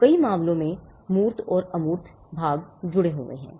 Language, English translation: Hindi, So, in many cases that tangible and the intangible parts are connected